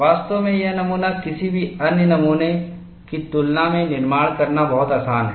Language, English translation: Hindi, In fact, this specimen is much easier to manufacture than any of the other specimens